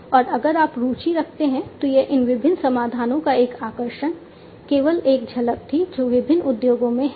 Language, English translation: Hindi, And if you are interested this was just a glimpse a highlight of these different solutions that are there in the different industries